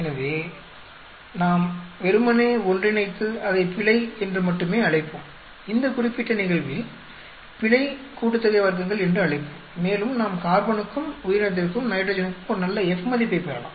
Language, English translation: Tamil, So, we can just combine together and we will call it only the error, we will call it the error sum of squares in this particular case and we can get a good F value for the carbon, for the organism, for the nitrogen